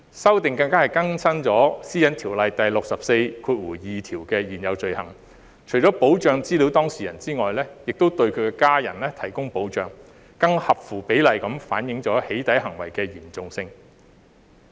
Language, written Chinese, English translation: Cantonese, 修訂更加更新了《私隱條例》第642條的現有罪行，除保障資料當事人外，亦對其家人提供保障，更合乎比例地反映"起底"行為的嚴重性。, The amendment has taken an extra step to update the existing offence under section 642 of PDPO by providing protection to not only the data subject but also his or her family members thus reflecting more proportionately the seriousness of the doxxing act